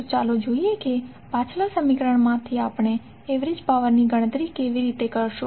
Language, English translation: Gujarati, So, let us see how we will calculate the average power power from the previous equation which we derived